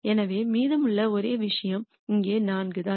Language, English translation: Tamil, So, the only thing that will be remaining would be 4 which is here